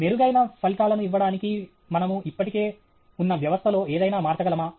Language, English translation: Telugu, Can we change something in the existing system to give better results